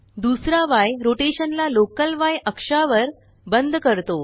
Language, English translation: Marathi, The second y locks the rotation to the local y axis